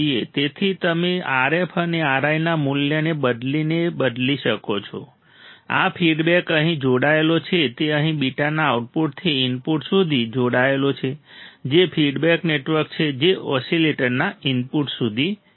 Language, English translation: Gujarati, So, this you can change by changing the value of RF and R I, this you can change by changing the value of RF and R I, this feedback here it is connected here its connected here from the output to the input from output of the beta that is feedback network to the input of the oscillator